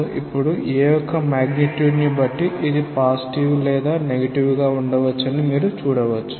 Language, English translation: Telugu, So, you can see now that there is depending on the magnitude of a, this may be positive or negative right